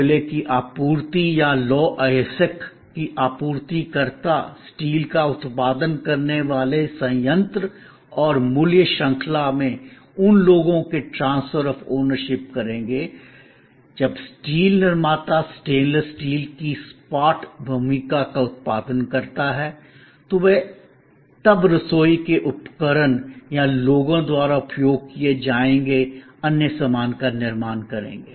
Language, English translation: Hindi, The supplier of coal or supplier of iron ore would be transferring the ownership of those to the plant producing steel and across the value chain, when the steel producer produces flat role of stainless steel, they will be then used by people manufacturing, kitchen equipment or other stuff